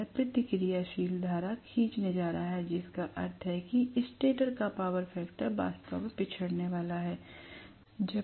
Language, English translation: Hindi, Now, it is going to draw reactive current, which means the power factor of the stator side is going to be actually lagging